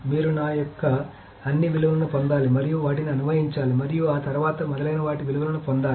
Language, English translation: Telugu, You have to get all the values of myself, then parse them, and then get all the values of those, etc